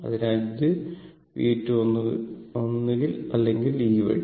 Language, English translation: Malayalam, So, it will be minus V 2 either this way or this way